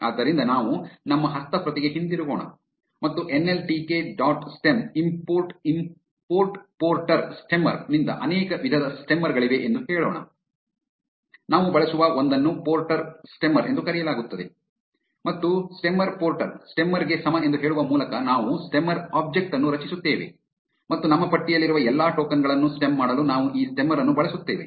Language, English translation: Kannada, So, let us go back to our script and say from nltk dot stem import porter stemmer there are multiple types of stemmers; the one we will use is called the porter stemmer and we will create a stemmer object by saying stemmer is equal to porter stemmer and we will use this stemmer to stem all the tokens in our list